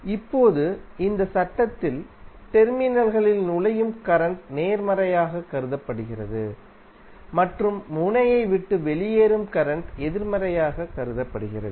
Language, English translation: Tamil, Now this, in this law current entering the terminals are regarded as positive and the current which are leaving the node are considered to be negative